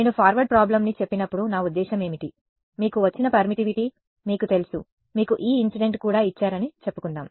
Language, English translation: Telugu, When I say a forward problem what do I mean that, you know your given the permittivity let us say your also given the E incident